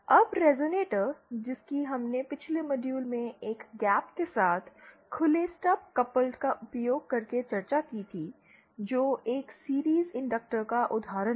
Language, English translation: Hindi, Now the resonator that we had discussed in the previous module using an open stub coupled with a gap, that is an example of a series inductor